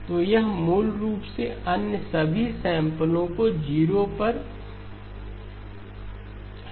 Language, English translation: Hindi, So it basically sets all of the other samples to 0 okay